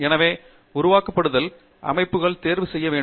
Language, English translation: Tamil, So, you have to choose your simulation settings